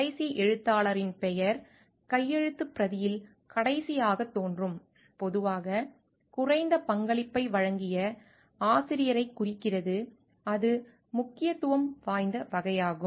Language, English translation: Tamil, Last author whose name appears as last in the manuscript usually implies the author who has made the least contribution so, it is in order of importance sort of